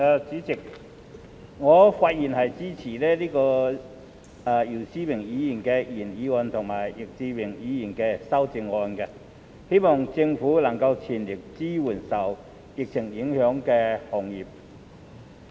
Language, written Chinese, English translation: Cantonese, 主席，我發言支持姚思榮議員的原議案及易志明議員的修正案，希望政府能全力支援受疫情影響的行業。, President I speak in support of Mr YIU Si - wings original motion and Mr Frankie YICKs amendment in the hope that the Government will offer full support to the industries affected by the epidemic